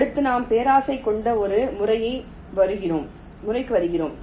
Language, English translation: Tamil, next we come to a method which is greedy